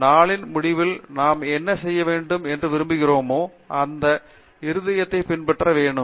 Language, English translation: Tamil, So, I think at the end of the day we need to make up our minds what we want to do and we have to follow our heart